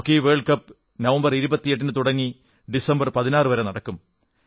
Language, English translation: Malayalam, The Hockey World Cup will commence on the 28th November to be concluded on the 16th December